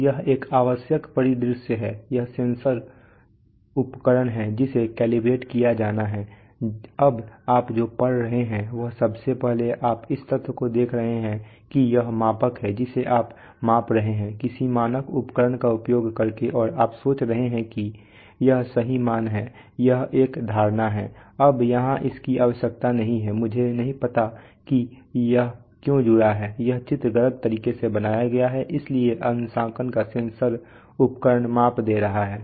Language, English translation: Hindi, So, this is, this is the essential scenario that you have a, this is the sensor instrument which is to be calibrated now the reading the you are first of all you are look at the fact that this is the measurand whose which you are measuring using some standard instrument and you are thinking that this is the true value this is an assumption, you are also measuring, now here this is not required, I do not know why this is this is connected, this diagram is drawn wrongly, so the sensor instrument of the calibration is giving a measurement